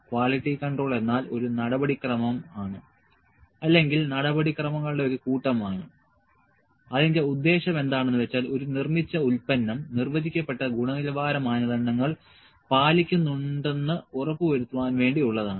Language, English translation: Malayalam, Quality control is a procedure or set of procedures which are intended to ensure that a manufactured product adheres to a defined set of quality criteria